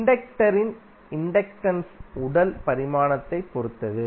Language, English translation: Tamil, Inductance of inductor depends upon the physical dimension also